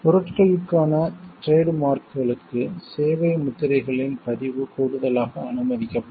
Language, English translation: Tamil, Registration of service marks allowed in addition to trademarks for goods